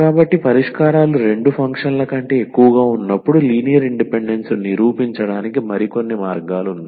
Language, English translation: Telugu, So, there are some other ways to prove the linear independence of the solutions when they are more than two functions